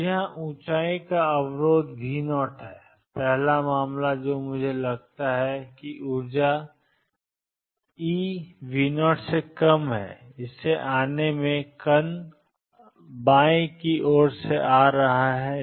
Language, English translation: Hindi, So, here is the barrier of height V 0 and first case I consider is a part of the coming in at energy e less than V 0 the left hand side is V equal 0